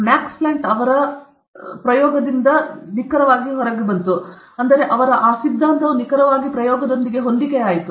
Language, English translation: Kannada, Max Planck figured out that e to the power of c 2 by lamda d 5, if I put minus 1, then exactly that theory was matching with experiment